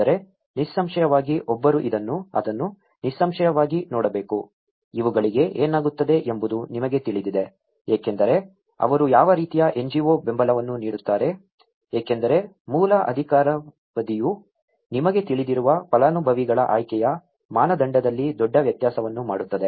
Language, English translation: Kannada, But, obviously one has to look at it obviously, what happens to these you know what kind of NGO support they give because the basic tenure also makes a big difference in the criteria of the selection of the you know, the beneficiaries